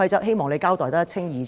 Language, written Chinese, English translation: Cantonese, 希望你交代得一清二楚。, I look forward to a very clear explanation from you